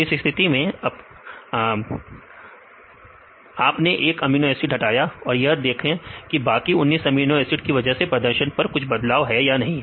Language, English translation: Hindi, So, in this case you eliminate one amino acids and see whether using other 19 amino acids the performance is similar or any change